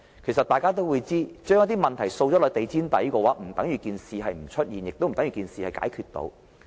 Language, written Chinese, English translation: Cantonese, 其實大家也知道，把問題掃入地毯底，不等於事情沒有出現，也不等於事情已經解決。, But we all know that sweeping problems under the carpet does not mean the problems cease to exist or have been resolved